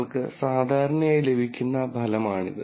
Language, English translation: Malayalam, So this is the result that you typically get